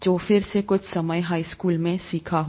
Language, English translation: Hindi, Which is again learnt sometime in high school